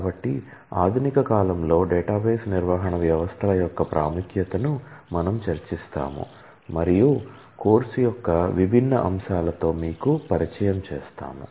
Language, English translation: Telugu, So, we will discuss the importance of database management systems in modern day applications, and we will familiarize you with different aspects of the course